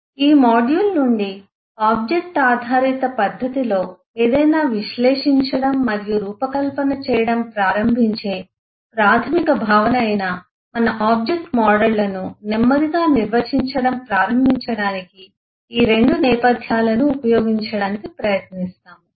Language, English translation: Telugu, from this module onwards we would try to use both these backgrounds to slowly start eh defining our object models, which is the fundamental concept of staring to analyze and design something in a object oriented language